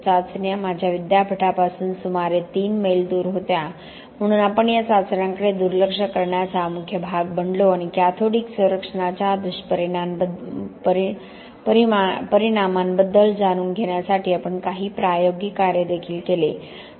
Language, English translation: Marathi, The trials were about 3 miles from my University so we became the main body of overlooking these trials and we did some experimental work also to learn about side effects of cathodic protection